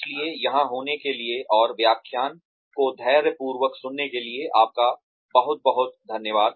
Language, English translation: Hindi, So, thank you very much, for being here, and listening patiently to the lecture